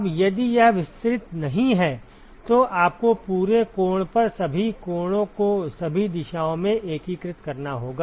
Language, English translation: Hindi, Now if it is not diffuse, then you will have to integrate over the whole angle all the angles in all the directions